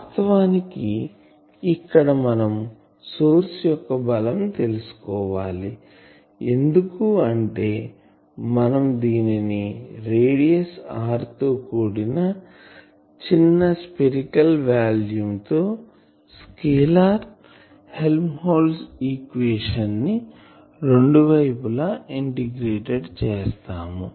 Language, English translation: Telugu, So, that is why we actually to find the source strength, we do this that we integrate the both sides of this scalar equation, scalar Helmholtz equation over a small spherical volume of radius r